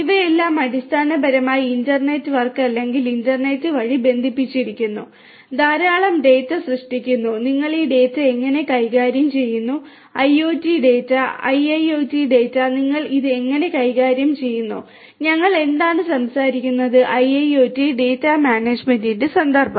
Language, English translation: Malayalam, And each of all of these basically connected to the through the internet work or the internet, generating lot of data, how do you handle this data, IoT data, IIoT data, how do you handle it is, what we are talking about in the context of IIoT data management